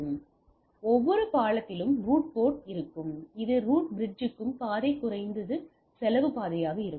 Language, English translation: Tamil, So, every bridge will have a root port which has the path to the root bridge as a least cost path right